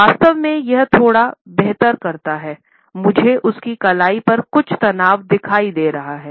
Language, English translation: Hindi, Here he actually does a little bit better he is got some tension going on in his wrist